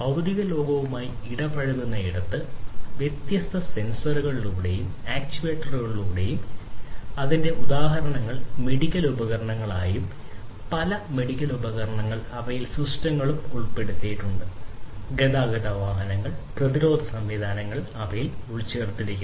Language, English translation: Malayalam, So, where there is interaction with the physical world, through different sensors and actuators examples of it would be medical instruments, many medical instruments are embedded you know they have embedded systems in them, transportation vehicles, defense systems many of these defense systems have embedded systems in them that